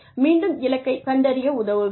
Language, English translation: Tamil, Again, assist in goal identification